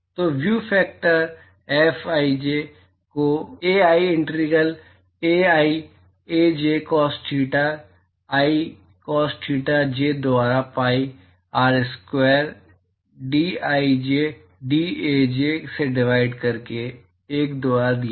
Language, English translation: Hindi, So, the view factor Fij is given by 1 by Ai integral Ai Aj cos theta i theta j divided by pi R square dAi dAj